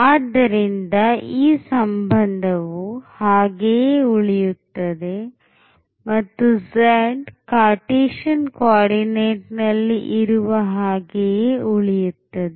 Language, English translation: Kannada, So, z is precisely the same which was in Cartesian coordinate